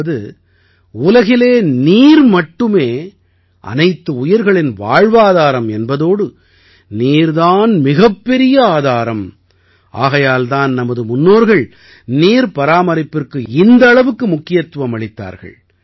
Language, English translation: Tamil, That is, in the world, water is the basis of life of every living being and water is also the biggest resource, that is why our ancestors gave so much emphasis on water conservation